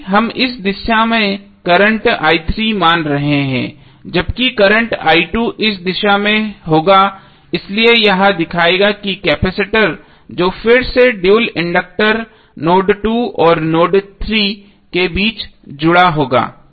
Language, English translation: Hindi, Because we are assuming current i3 in this direction while current i2 would be in this direction, so this will show that the inductor dual that is capacitor again would be connected between node 2 and node3